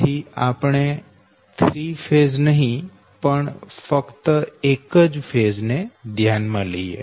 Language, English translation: Gujarati, instead of considering all the three phases, we can consider only one phase